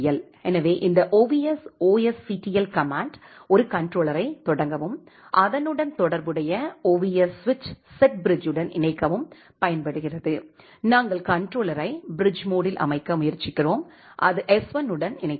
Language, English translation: Tamil, So, this ovs vsctl command is used to start a controller and attach it with a corresponding ovs switch set bridge, we are trying to set the controller in the bridge mode and it will be connected with s1